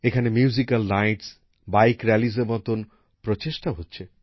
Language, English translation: Bengali, Programs like Musical Night, Bike Rallies are happening there